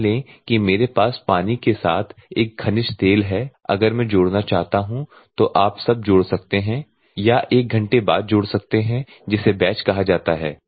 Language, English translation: Hindi, Assume that I have a mineral oil along with the water if I want to add you can add now, after 1 hour or something that is called batch